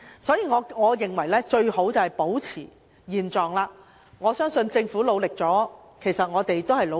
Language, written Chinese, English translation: Cantonese, 所以，我認為最好保持現狀，我相信政府已作出努力，我們也作出努力。, This is why I consider it most preferable to maintain the status quo . I believe the Government has made an effort and so have we